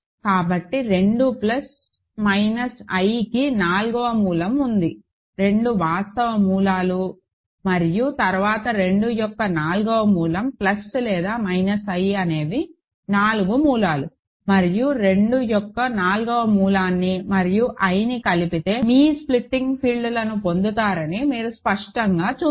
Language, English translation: Telugu, So, fourth root of 2 plus minus are there, two real roots and then i times fourth root of 2 plus minus are the 4 roots, and you clearly see that if you adjoin fourth root of 2 and i you get your splitting field